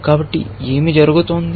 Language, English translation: Telugu, So, what is happening